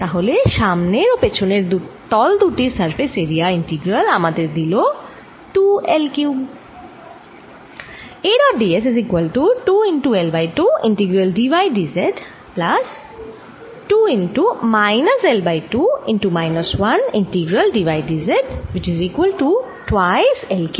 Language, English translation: Bengali, so the front surface and the back surface area integral gives you two l cubed